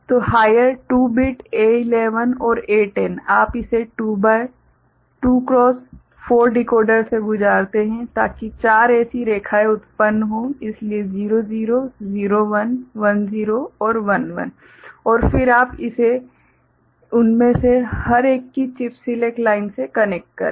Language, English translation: Hindi, So, higher 2 bit A11 and A10 you pass it through a 2 to 4 decoder to generate 4 such lines, so 00, 01, 10 and 11, and then that you connect to chip select lines of each one of them